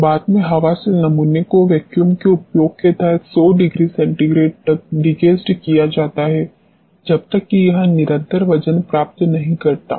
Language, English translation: Hindi, Later the air dried sample is degassed at 100 degree centigrade under application of vacuum till it attains a constant weight